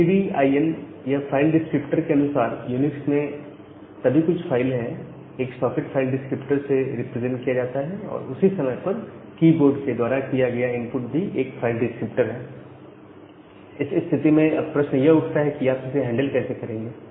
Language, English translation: Hindi, So in UNIX, everything is a file a socket is represented by a file descriptor and at the same time the input from the keyboard that is also represented as an file descriptor by this STDIN file descriptor